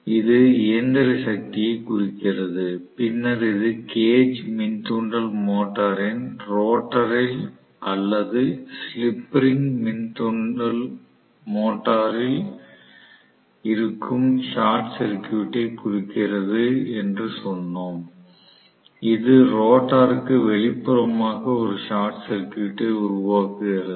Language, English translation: Tamil, That represented the mechanical power and then we said this represents the short circuit that is there in the rotor of the cage induction motor or in the slip ring induction motor, which we create a short circuit external to the rotor right